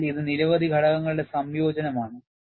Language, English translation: Malayalam, So, it is a combination of several factors